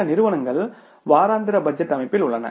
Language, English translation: Tamil, Some firms are there who are into the weekly budgeting system